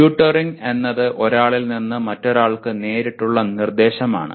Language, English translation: Malayalam, Tutoring is one to one instruction